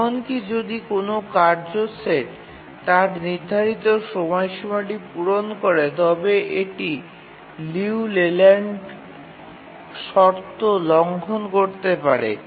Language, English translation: Bengali, Even if a task set is will meet its deadline but it may violate the Liu Leyland condition